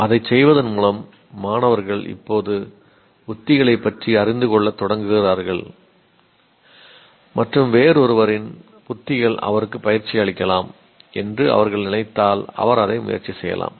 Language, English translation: Tamil, So by doing that, people now, the students now start becoming aware of the strategies and if they feel somebody else's strategy may work out for him, you may try that